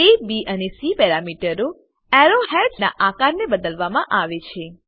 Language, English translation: Gujarati, The A, B and C parameters help to vary the shape of the arrow heads